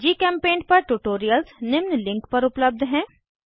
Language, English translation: Hindi, Tutorials on GChemPaint are available at the following link